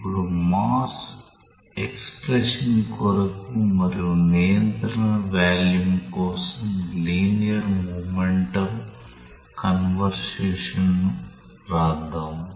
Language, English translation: Telugu, Now, let us write the expression for the mass and the linear momentum conservation for the control volume